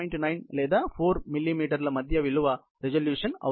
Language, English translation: Telugu, 9 or 4 millimeters, is the resolution